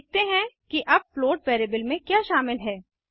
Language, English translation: Hindi, Let us see what the float variable now contains